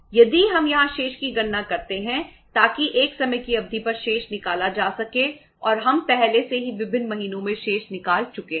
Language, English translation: Hindi, If we calculate the balance here so that uh balance over a period of time is to be worked out and we have already worked out the balance over the different months